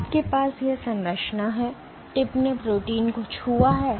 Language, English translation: Hindi, So, you have this structure, the tip has touched the protein